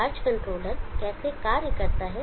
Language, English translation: Hindi, How does the charge controller behave, how does the charge controller function